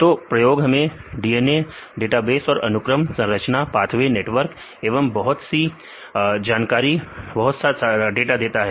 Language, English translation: Hindi, So, experiments provide lot of data for DNA databases and then sequences, structures, pathways networks, various information we get from the biology